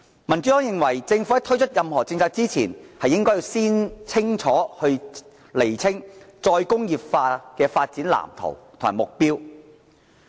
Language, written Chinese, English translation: Cantonese, 民主黨認為政府在推出任何政策前，應該先釐清再工業化的發展藍圖和目標。, The Democratic Party believes that the Government should clarify the blueprint and goal of re - industrialization before introducing any policies